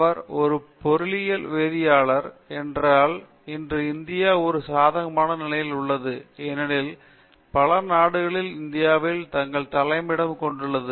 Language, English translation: Tamil, He he is a material chemist means a material development, but today India is in a favorable position because all multi nationals have got their head quarters or semi head quarters in India